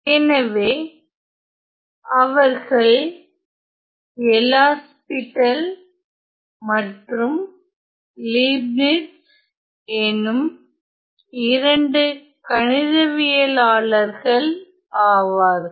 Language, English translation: Tamil, So, these two mathematicians were L'Hopital and Leibniz